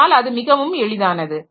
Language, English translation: Tamil, So, that makes it very easy